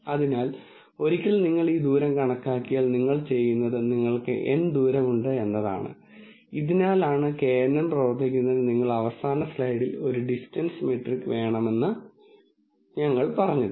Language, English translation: Malayalam, So, once you calculate this distance, then what you do is you have n distances and this is the reason why we said you need a distance metric in last slide for a kNN to work